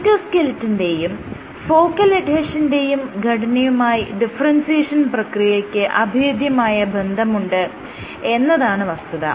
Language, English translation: Malayalam, What you see is the differentiation is associated with cytoskeletal and focal adhesion organization